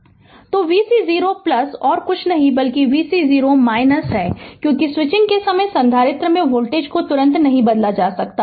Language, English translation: Hindi, So, v c 0 plus is nothing but the v c 0 minus, because at the time of switching the voltage cannot be change instantaneously across the capacitor right